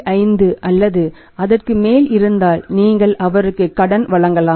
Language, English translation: Tamil, 5 or above than you grant him the credit